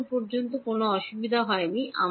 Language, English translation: Bengali, So far there has not been any difficulty